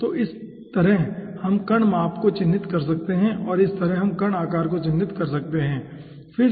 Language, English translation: Hindi, okay, so in this way we can characterize the particle size and in this way we can characterize the particle shape